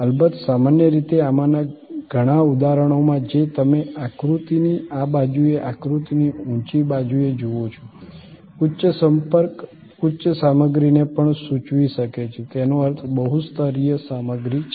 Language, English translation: Gujarati, Of course, usually in many of these instances which you see on this side of the diagram, the high side of the diagram, the high contact may also denote high content; that means multi layered content